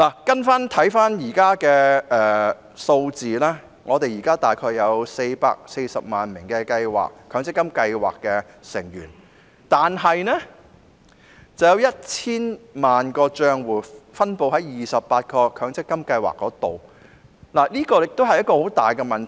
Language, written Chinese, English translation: Cantonese, 根據目前的數字，香港現時約有440萬名強積金計劃成員，但卻有 1,000 萬個帳戶分布於28個強積金計劃，這是一個大問題。, According to the latest figures there are about 4.4 million MPF scheme members in Hong Kong but they have a total of 10 million accounts in 28 MPF schemes . That is a big problem